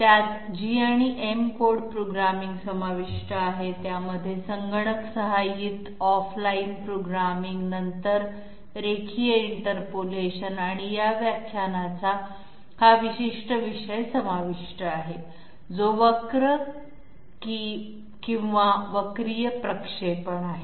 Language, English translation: Marathi, They include G and M code programming; they include off line computer aided off line programming then linear interpolation of course and this particular topic of this lecture which is curvilinear interpolation